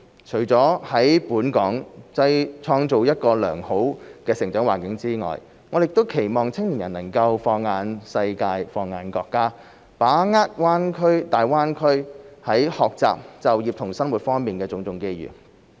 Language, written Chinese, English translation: Cantonese, 除了在本港創造一個良好的成長環境外，我們亦期望青年人能放眼世界、放眼國家，把握大灣區在學習、就業和生活方面的種種機遇。, Apart from creating a good living environment in Hong Kong we also hope that our young people can set their sights on the world and on our country and seize the opportunities to study work and live in the Greater Bay Area